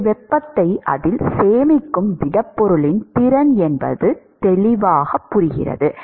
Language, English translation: Tamil, So, it is the capacitance or the capacity of the solid to store heat